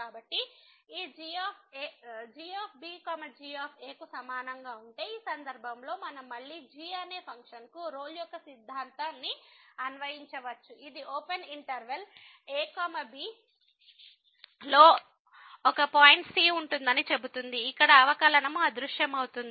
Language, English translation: Telugu, So, if this is equal to in this case we can again apply the Rolle’s theorem to the function which will say that there will be a point in the open interval where the derivative will vanish